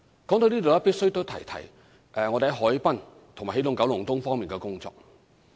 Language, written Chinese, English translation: Cantonese, 說到這裏也必須提一提我們在海濱和起動九龍東方面的工作。, In this connection I must briefly mention our work on the harbourfront and Energizing Kowloon East